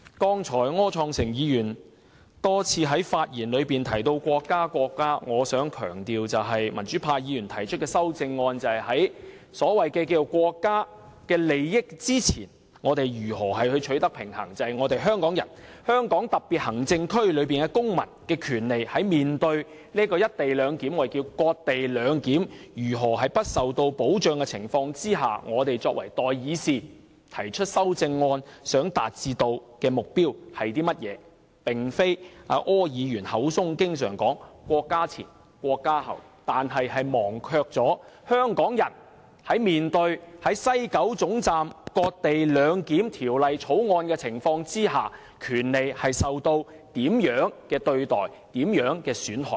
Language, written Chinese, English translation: Cantonese, 柯創盛議員剛才多次在發言中提及國家、國家，我想強調，民主派議員提出的修正案是想與所謂國家利益取得平衡，即香港特別行政區公民的權利在面對"一地兩檢"——我們稱為"割地兩檢"——在香港市民不受保障的情況下，我們作為代議士提出修正案想達致的目標，而並非像柯議員般口中經常"國家"前、"國家"後"，但卻忘記了香港人在面對在西九總站"割地兩檢"和《條例草案》的情況下，權利是受到怎樣的對待和損害。, Just now Mr Wilson OR talked about the country repeatedly in his speech but I wish to stress that the amendments proposed by Members of the pro - democracy camp is designed to strike a balance with the so - called national interests that is in the face of co - location―rather we call it cession - based co - location arrangement―in the face of a lack of protection for the rights of residents of the Hong Kong Special Administrative Region what goals we as representatives of the public want to achieve in proposing the amendments rather than talking about the country all the time like Mr OR but forgetting about what treatment is extended to the rights of Hong Kong people and how they are compromised when ceding Hong Kongs territory to introduce the co - location arrangement at the West Kowloon Station WKS and under the Bill